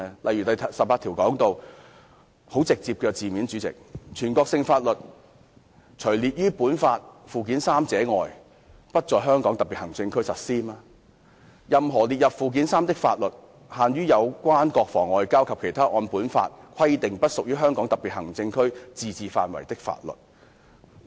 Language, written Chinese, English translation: Cantonese, 以《基本法》第十八條為例，其措辭相當直接，訂明"全國性法律除列於本法附件三者外，不在香港特別行政區實施"，以及"任何列入附件三的法律，限於有關國防、外交和其他按本法規定不屬於香港特別行政區自治範圍的法律"。, Take Article 18 of the Basic Law as an example its wording is very straightforward stating that [n]ational laws shall not be applied in the Hong Kong Special Administrative Region except for those listed in Annex III to this Law and [l]aws listed in Annex III to this Law shall be confined to those relating to defence and foreign affairs as well as other matters outside the limits of the autonomy of the Region as specified by this Law . The provisions are so simple and clear